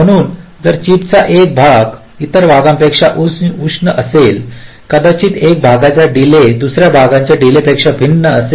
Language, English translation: Marathi, so if one part of chip is hotter than other part, so may be the delay of one part will be different from the delay of the other part